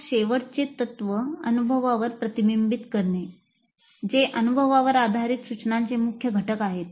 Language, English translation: Marathi, Then the last principle is reflecting on the experience, a key, key element of experience based approach to instruction